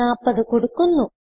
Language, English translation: Malayalam, I will enter 40